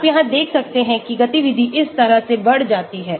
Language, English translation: Hindi, you can see here the activity also increases this way